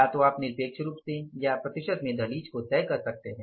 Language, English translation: Hindi, Either you can fix up the threshold level in the absolute terms or in the percentage terms